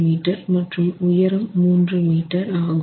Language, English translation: Tamil, 3 meters in length and 3 meters in height